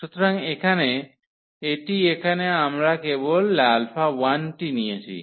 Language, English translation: Bengali, So, that is here we have taken just alpha 1